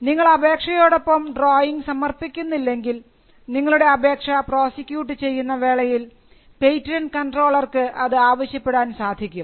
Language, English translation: Malayalam, Even if you do not file the drawings, the patent controller can ask for drawings, when the patent officer is prosecuting your patent application